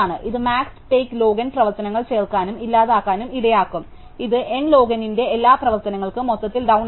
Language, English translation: Malayalam, And this will make both insert and delete max take log N operations, and this will given overall bound for N operations of N log N